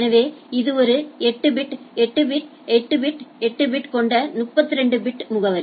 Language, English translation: Tamil, So, it is a 32 bit address with every 8 bit dot, 8 bit dot, 8 bit dot, 8 bit right